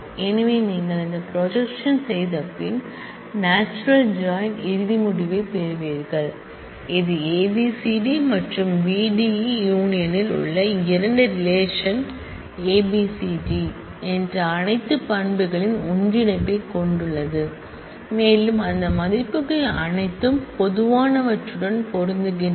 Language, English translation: Tamil, So, after you have done this projection, you get the final result of the natural join, which has a union of all the attributes that the 2 relations at A B C D and B D E union is A B C D E and you have all those records whose values matched on the common attributes between relation r and relation D